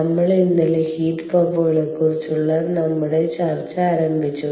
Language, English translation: Malayalam, if you recall, yesterday we started with our discussion on heat pumps